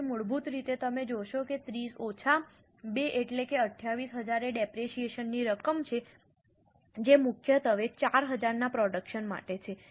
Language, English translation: Gujarati, So, basically you will see that 30 minus 2, that means 28,000 is a depreciable amount which is mainly for a production of 4,000